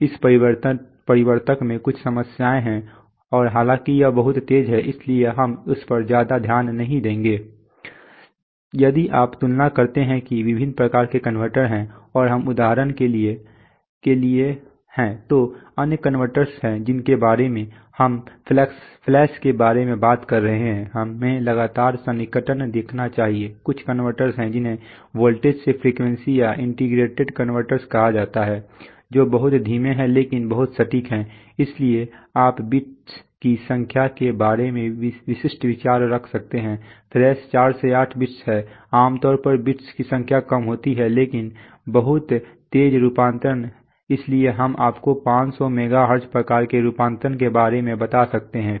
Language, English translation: Hindi, If you compare there are various kinds of converters and we are for example, there are other converters to we are talking about flash, we should saw successive approximation there are some converters which are called voltage to frequency or integrating converters, which are very slow but very accurate, so you can have typical idea about the number of bits flash is 4 to 8 bits typically less number of bits, but very fast conversion, so we can go up to you know 500 megahertz kind of conversions